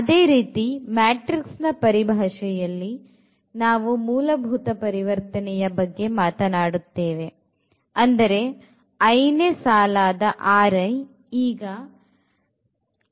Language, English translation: Kannada, So, in terms of the matrices we talked about this row operation that R i now the i th row has become like lambda times R i